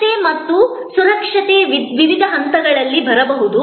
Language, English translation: Kannada, Safety and security can come in at different levels